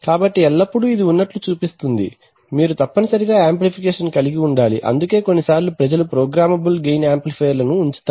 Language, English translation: Telugu, So this shows that always it is, you must have amplification that is why is people sometimes put programmable gain amplifiers